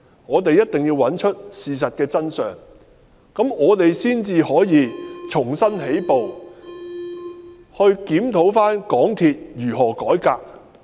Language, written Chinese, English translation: Cantonese, 我們一定要找出事情的真相，只有這樣我們才可以重新起步，檢討港鐵公司應如何改革。, We must find out the truth of the incident for only by doing so can we start again and review how MTRCL should be reformed